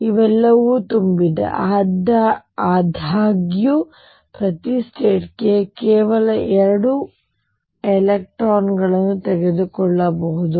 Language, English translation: Kannada, These are all filled; however, each state can take only 2 electrons